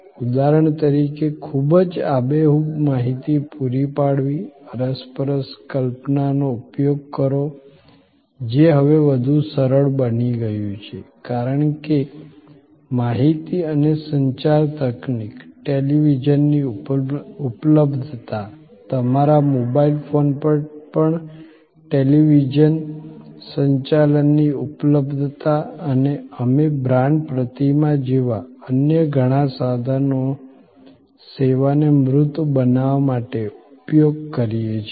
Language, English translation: Gujarati, For example, providing very vivid information, use interactive imagery, which is now become even easier, because of information and communication technology, availability of television, availability of television transmission even on your mobile phone and we use many other tools like say a brand icons to make the service tangible